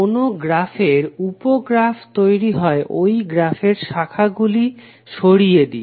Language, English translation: Bengali, Sub graph of a given graph is formed by removing branches from the original graph